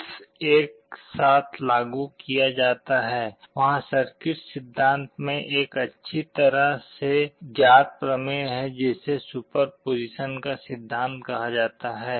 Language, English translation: Hindi, When the bits are applied together, there is a well known theorem in circuit theory called principle of superposition